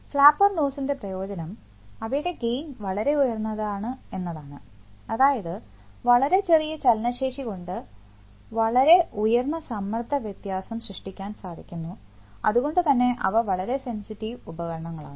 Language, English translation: Malayalam, The advantage of flapper nozzle is that their gain is very high, there is very small motion can create a very high pressure difference, so that so they are very sensitive devices